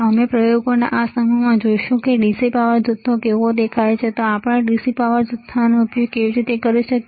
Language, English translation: Gujarati, We will see in this set of experiments, how the DC power supply looks like and how we can use DC power supply